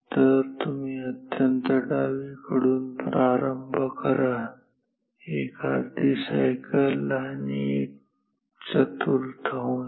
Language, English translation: Marathi, So, you start from extreme left go down 1 half cycle and a quarter